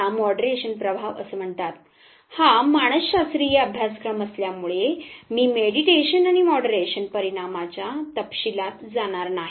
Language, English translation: Marathi, This called moderation effect, because this is introductory psychological course I will not go into the details of the mediation and the moderation effect